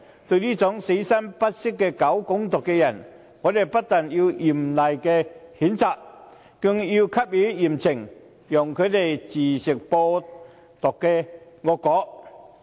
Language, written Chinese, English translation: Cantonese, 對於這種死心不息搞"港獨"的人，我們不但要嚴厲譴責，更應給予嚴懲，讓他自吃"播獨"惡果。, As regards he who are hell - bent on promoting Hong Kong independence and his like not only do we severely condemn him we should mete out harsh punishment to him so that he can bear himself the consequences of spreading Hong Kong independence